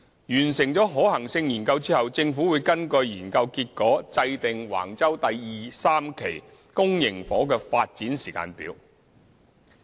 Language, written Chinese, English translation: Cantonese, 完成可行性研究後，政府會根據研究結果制訂橫洲第2、3期公營房屋的發展時間表。, Upon the completion of the feasibility study the Government will formulate a timetable for public housing development at Wang Chau Phases 2 and 3